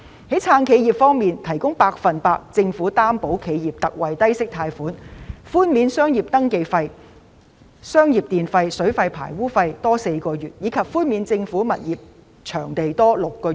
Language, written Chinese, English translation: Cantonese, 在"撐企業"方面，政府向企業提供百分百擔保特惠貸款，又寬免商業登記費、商業電費、水費和排污費4個月，以及寬免政府物業場地租金6個月。, In respect of supporting enterprises the Government provides Special 100 % Loan Guarantee to enterprises and waives business registration fees electricity water and sewage charges payable by non - domestic households for four months as well as reduces rental for tenants of government properties for six months